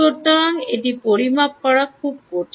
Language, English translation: Bengali, so its very difficult to measure there